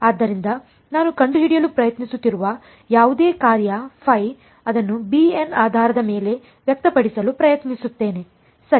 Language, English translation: Kannada, So, whatever function I am trying to find out phi, let me try to express it in the basis of b n ok